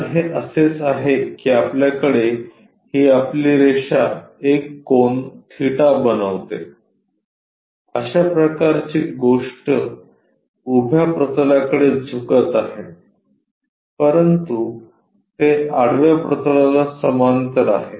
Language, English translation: Marathi, So, it is more like you have this your line makes an angle theta, that kind of thing is inclined to vertical plane, but it is parallel to horizontal plane